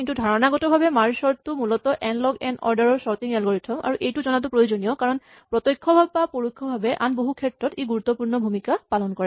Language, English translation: Assamese, But conceptually merge sort is the basic order n log n sorting algorithm and it is very useful to know because it plays a role in many other things indirectly or directly